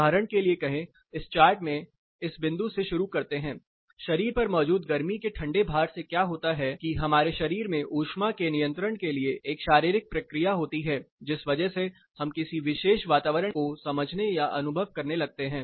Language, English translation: Hindi, Say for example, let us start in this chart let us start from this point present heat cold loads of on a body what happens there is a physiological thermo regulation process which the body, undergoes because of this we start perceiving or experiencing a particular environment